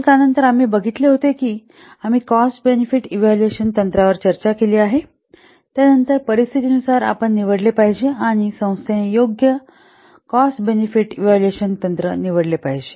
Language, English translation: Marathi, So after so we have already seen that we have already selected, we have discussed the cost benefit evaluation techniques then depending upon the scenario we should select or the organization should select a proper unappropriate cost benefit evaluation